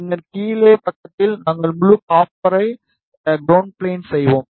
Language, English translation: Tamil, And then on the bottom side, we will make full copper that is ground plane